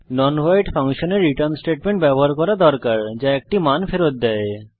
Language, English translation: Bengali, Type return 0 A non void function must use a return statement that returns a value